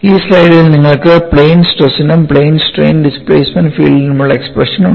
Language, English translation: Malayalam, In this slide, you have the expression for the plane stress as well as for plane strain the displacement field